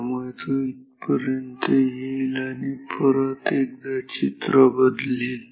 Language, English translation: Marathi, So, it will come up to this and again this story will change